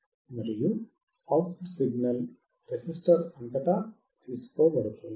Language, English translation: Telugu, And the output signal is taken across the resistor